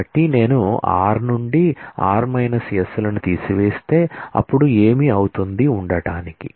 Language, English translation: Telugu, So, if I subtract r minus s from r then what will remain